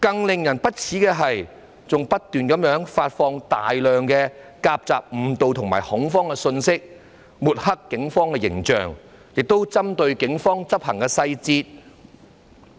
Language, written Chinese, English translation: Cantonese, 令人更為不齒的是，有人還不斷發放大量誤導和造成恐慌的信息，抹黑警方形象，並針對警方的執法細節。, Even more despicably some people kept disseminating a large number of misleading and alarming messages to tarnish the image of the Police and find fault with the details of law enforcement actions by the Police